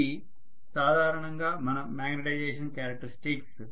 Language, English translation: Telugu, This is what is our magnetization characteristics normally